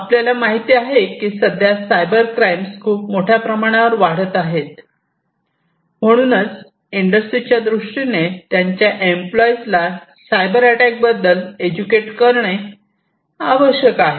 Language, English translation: Marathi, And as cyber crimes are increasing it is more important for the industry to educate their employees about potential cyber attacks